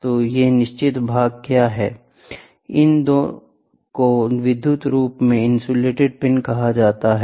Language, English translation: Hindi, So, what are these fixed portions, these ones are called as electrically insulated pin, ok